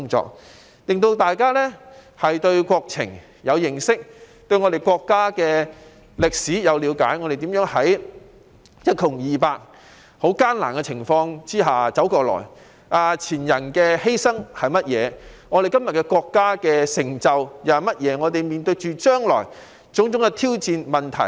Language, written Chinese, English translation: Cantonese, 此舉的目的是加深大家對國情的認識，對我國歷史的了解，令我們明白國家如何從一窮二白的極艱難景況下一路走來，前人作出了甚麼犧牲，國家今天又有甚麼成就，將來須面對何種挑戰和問題。, The aim of doing so is to deepen their understanding of national affairs and the history of our country so that they can come to realize how the country has survived all the ordeals and come a long way since the days of extreme poverty what sacrifices our predecessors have made what achievements the country has accomplished today and what challenges and problems we have to face in the future